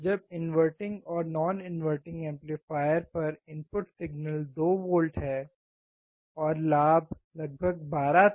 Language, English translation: Hindi, When the input signal in inverting and non inverting amplifier, or 2 volts and the gain was about 12